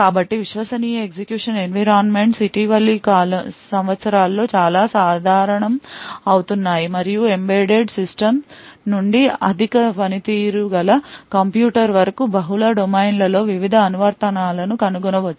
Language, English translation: Telugu, So, Trusted Execution Environments are becoming quite common in the recent years and finding various applications in multiple domains ranging from embedded system to high performing computing